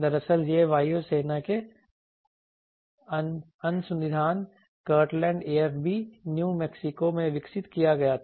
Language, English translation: Hindi, Actually it was developed at air force research laboratory Kirtland AFB, New Mexico